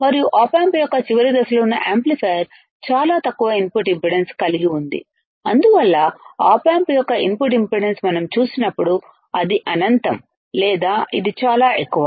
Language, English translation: Telugu, And amplifier which has which is at the last stage of the op amp has extremely low input impedance all right, so that is why when we see about input impedance of the op amp it is infinite or it is extremely high